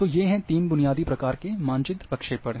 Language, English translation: Hindi, So, these are the three basic types of map projection exists